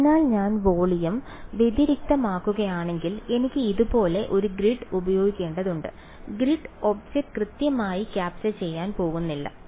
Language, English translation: Malayalam, So, if I am discretising the volume I need to sort of use a make a grid like this; The grid is not going to be exactly capturing the object ok